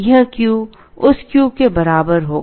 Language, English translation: Hindi, This Q will be equal to that Q